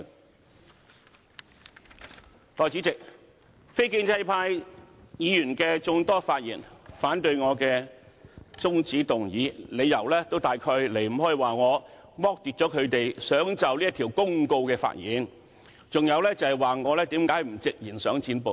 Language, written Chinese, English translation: Cantonese, 代理主席，眾多非建制派議員發言，反對我的中止待續議案，理由大都離不開說我剝奪他們就《公告》發言的權利，還有就是說我何不直言想"剪布"。, Deputy President many non - establishment Members spoke against my adjournment motion for a similar reason . They mainly accused me of depriving them of their right to speak on the Notice and they also questioned why I did not directly say I wanted to cut off the filibuster